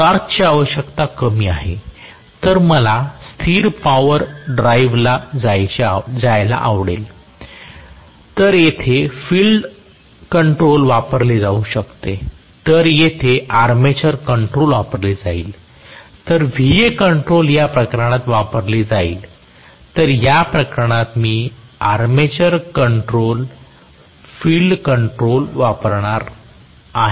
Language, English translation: Marathi, So, I might like to go for you know constant power kind of drive, So, here field control may be used whereas here armature control will be used so Va control is used in this case whereas I am going to have armature control field control used in this case